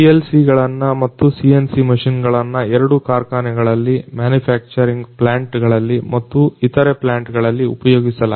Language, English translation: Kannada, PLCs as well as CNC machines both are used in factories, the manufacturing plants and other similar plants a lot